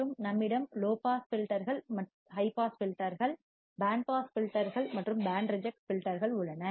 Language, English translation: Tamil, We also have low pass filters, high pass filters, band pass filters and band reject filters